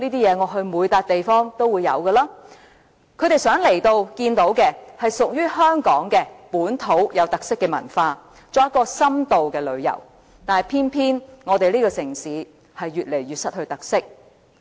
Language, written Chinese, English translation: Cantonese, 遊客來到香港想看到的是屬於香港本土有特色的文化，作深度旅遊，但偏偏這個城市越來越失去特色。, What visitors wish to see in Hong Kong is our unique local culture and they want to have in - depth tours in Hong Kong . But then this very city has turned increasingly devoid of any local colours